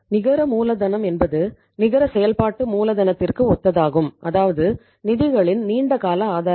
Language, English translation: Tamil, Net working capital means it is the it is synonymous to net working capital means that the long term sources of the funds